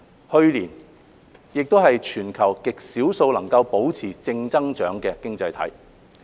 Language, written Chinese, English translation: Cantonese, 去年內地亦是全球極少數能保持正增長的經濟體。, Last year the Mainland was one of the very few economies in the world which managed to maintain positive economic growth